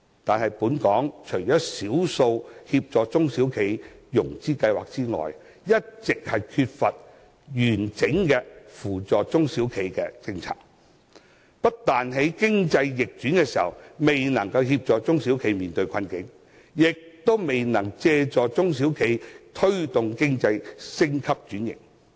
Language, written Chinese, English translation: Cantonese, 可是，本港只有少數協助中小企融資的計劃，一直缺乏扶助中小企的完整政策，不但在經濟逆轉時未能協助它們面對困境，亦未能借助它們推動經濟升級轉型。, However there are very few financing schemes available for SMEs in Hong Kong and there is no comprehensive policy to assist them . As a result they cannot get any help to counter difficulties at economic downturns nor can they serve as a means to help the economy to upgrade and transform